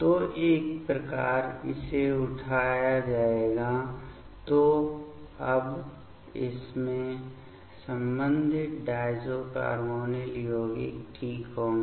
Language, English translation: Hindi, So, once it will be picked up; so now this will have the corresponding diazocarbonyl compounds fine